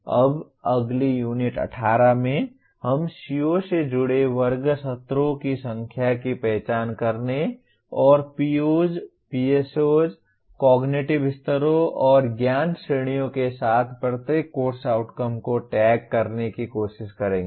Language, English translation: Hindi, Now in the next Unit 18 we will try to identify the number of class sessions associated with COs and tag each course outcome with the POs, PSOs, cognitive levels and knowledge categories addressed